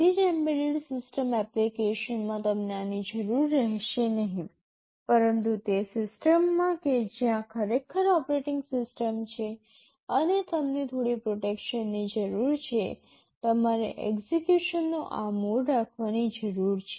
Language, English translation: Gujarati, In all embedded system application you will not require this, but in system where there is really an operating system and you need some protection you need to have this mode of execution